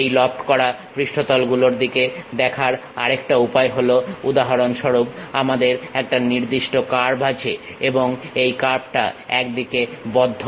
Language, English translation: Bengali, The other way of looking at this lofter surfaces for example, we have one particular curve it is a closed curve on one side